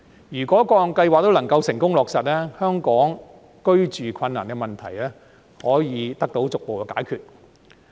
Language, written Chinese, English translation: Cantonese, 如果各項計劃都能夠成功落實，香港居住困難的問題可以得到逐步解決。, If all these measures are successfully implemented the housing difficulties in Hong Kong will gradually be resolved